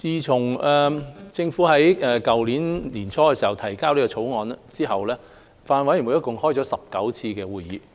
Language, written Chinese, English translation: Cantonese, 自政府於去年年初提交《條例草案》後，法案委員會共舉行了19次會議。, Since the Government presented the Bill at the beginning of last year the Bills Committee has held a total of 19 meetings